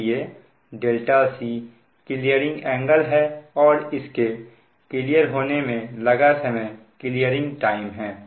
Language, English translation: Hindi, so delta c is the clearing angle and the time at which it is cleared it is called your clearing time